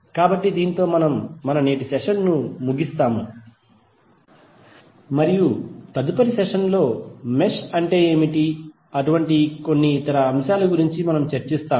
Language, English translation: Telugu, So with this we close our today’s session and in the next session we will discuss more about the other certain aspects like what is mesh